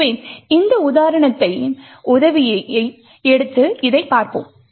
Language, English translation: Tamil, So, let us look at this by taking the help of this particular example